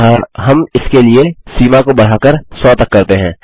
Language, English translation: Hindi, So we are going increase the limit for this to, say, 100